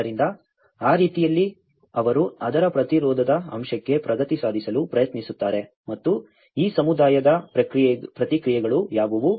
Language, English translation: Kannada, So, in that way, they try to progress to resistance aspect of it and what are the responses of this community